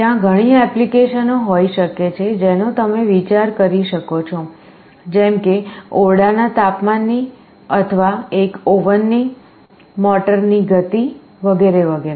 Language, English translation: Gujarati, There can be many applications you can think of; temperature of the room or an oven, speed of a motor, etc